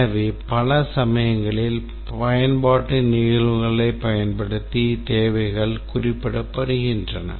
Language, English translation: Tamil, So, many times the requirements are specified using use cases